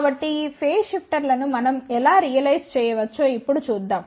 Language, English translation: Telugu, So, now let see, how we can realize these phase shifters